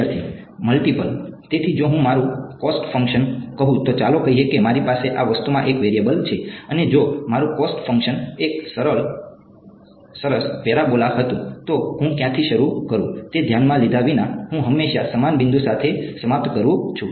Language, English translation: Gujarati, Multiple right; so, if I if my cost function let us say I have a variable in one this thing and if my cost function was a nice parabola, regardless of where I start I always end up with the same point